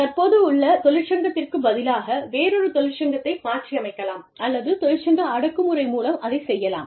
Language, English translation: Tamil, We could either do it, by through, union substitution, or, we could do it through, union suppression